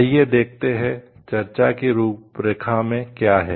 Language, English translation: Hindi, Let us see, what is there in the outline of the discussion